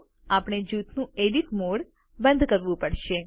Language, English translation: Gujarati, So we have to exit the Edit mode of the group